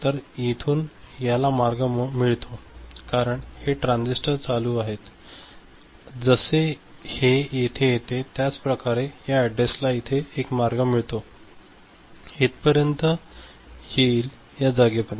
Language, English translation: Marathi, So, this gets a path; this gets a path from here through it because these transistors are ON, like this to come here, similarly this address gets a path over here, sorry like this to come here up to this point